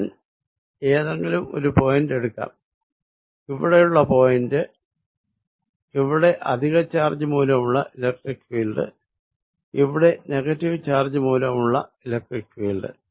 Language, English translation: Malayalam, So, let me make this picture again, let me take any point, let us say point out here, here is electric field due to positive charge and here is electric field due to negative charge